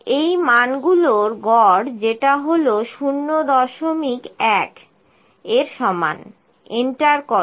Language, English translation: Bengali, Average of these values enter which is equal to 0